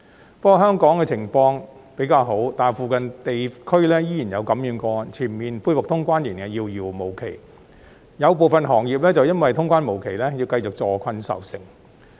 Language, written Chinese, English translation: Cantonese, 不過，雖然香港的情況比較好，但附近地區仍然有感染個案，全面恢復通關仍然遙遙無期，有部分行業就因為通關無期而要繼續坐困愁城。, Although the situation in Hong Kong has improved cases of infection are still found in nearby regions so the full resumption of cross - boundary travel is still remote . For certain industries the endless delay in the reopening of boundary crossing has left them in a helpless predicament